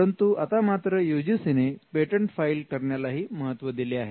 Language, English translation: Marathi, Though now we find the UGC norms have recently started considering patents filed as well